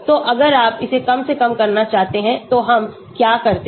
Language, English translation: Hindi, So if you want to minimize this what do we do